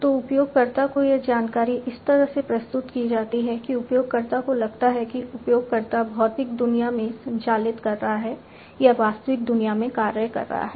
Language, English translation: Hindi, So, this information to the user is presented in such a way that the user feels that the user is operating is acting in the real world or physical world